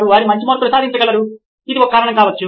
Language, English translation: Telugu, They can score better marks that could be one reason